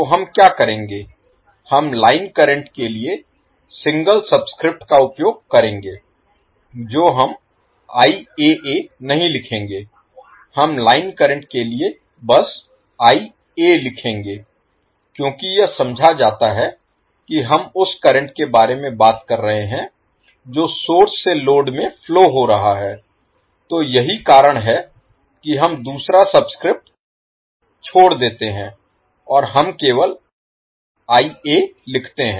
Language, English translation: Hindi, So what we will do we will use single subscript for line current we will not write as IAA we will simply write as IA for the line current because it is understood that we are talking about the current which is flowing from source to load, so that is why we drop the second subscript and we simply write as IA